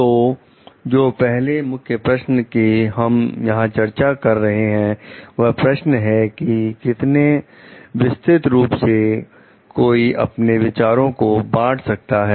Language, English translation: Hindi, So, the first key question that we will be discussing here is: how broadly should one share ideas